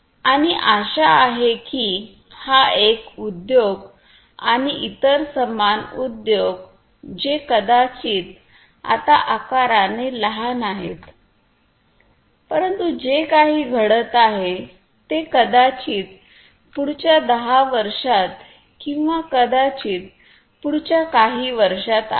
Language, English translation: Marathi, And hopefully these industry this one and many other similar industry who are maybe they are small in size now, but very progressive minded what is going happen probably is in the years to come maybe in another ten years or